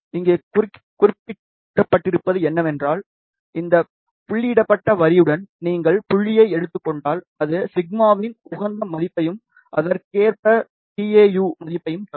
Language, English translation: Tamil, And what is mentioned here that if you take the point along this dotted line, that will give us the optimum value of the sigma and correspondingly tau value